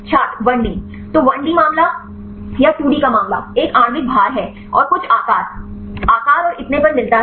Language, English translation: Hindi, 1D So, 1D case or here of 2D; one is the molecular weight and get the some shape, size and so on